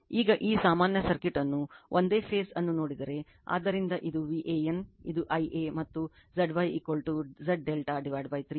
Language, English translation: Kannada, Now, if you see this equivalent circuit like a single phase, so this is V an, this is I a and Z y is equal to Z delta by 3 right